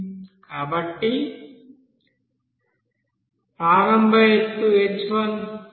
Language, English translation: Telugu, So initial height is h 1